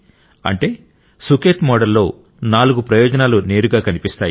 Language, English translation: Telugu, Therefore, there are four benefits of the Sukhet model that are directly visible